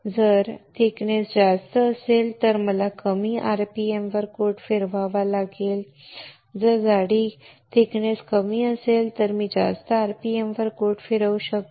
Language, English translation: Marathi, If a thickness is higher then I have to spin coat at lower rpm, and if the thickness is lower, then I can spin coat at higher rpm